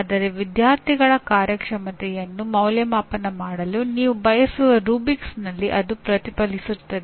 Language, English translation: Kannada, But provided they do get reflected in the rubrics you use for evaluating the student performance